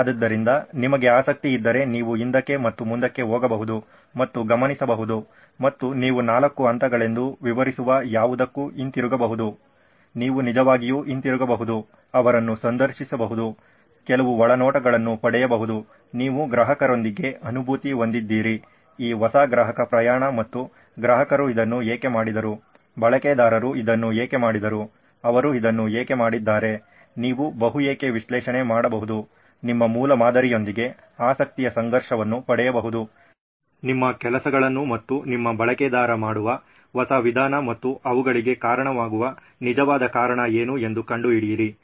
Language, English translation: Kannada, So if you are interested you can keep going back and forth and observe and you can also go back to whatever is describing as the 4 stages, you can actually go back, interview them, get some insights, you are empathizing with the customer, with this new customer journey and actually you can ask so why did the customer do with this, why did the user do this, why have they done this, you can do multi why analysis, get a conflict of interest with this your prototype, your new way of doing things and your user and find out what is actual cause which is causing them